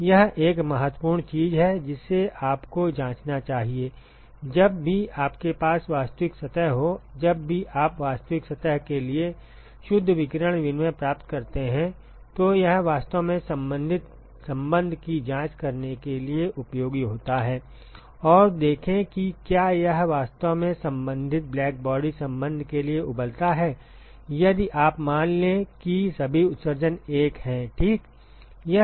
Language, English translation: Hindi, This is an important thing you should check whenever you have a real surface, whenever you derive the net radiation exchange for real surface, it is actually useful to check the corresponding relationship and see if it actually boils down to the corresponding blackbody relationship, if you assume all the emissivities to be 1 ok